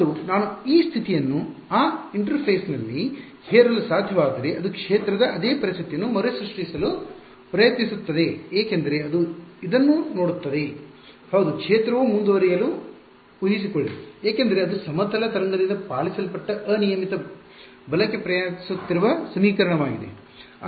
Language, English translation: Kannada, And, if I am able to impose this condition at that interface it will try to recreate the same situation that the field is because it looks at this is yeah the field is suppose to go on because that is the equation obeyed by a plane wave that is travelling unbound right